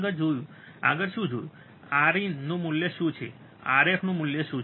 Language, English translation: Gujarati, Next, what we have to see next is, what is the value of R in, what is the value of R f